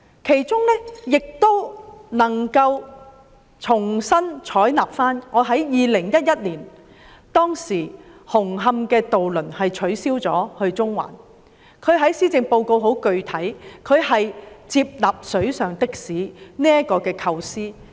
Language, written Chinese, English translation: Cantonese, 施政報告亦重新採納我在2011年曾提出的建議，當年紅磡至中環的渡輪服務取消，而特首在施政報告具體地接納"水上的士"的構思。, The Policy Address has also included the proposal I put forth in 2011 when the ferry service between Hung Hom and Central was abolished and the Chief Executive has specifically accepted the concept of water taxi